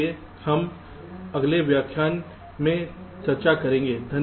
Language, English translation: Hindi, so this we shall be discussing in our next lecture